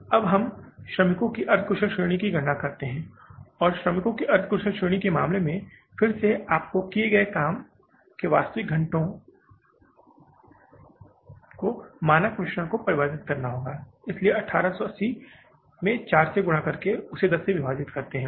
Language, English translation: Hindi, Now we calculate the semi skilled category of workers and in case of the semi skilled category of the workers again you have to convert the standard mix of the actual hours worked